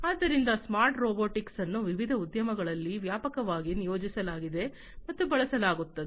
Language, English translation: Kannada, So, smart robotics is widely deployed and used in different industries